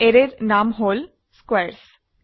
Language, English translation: Assamese, The name of the array is squares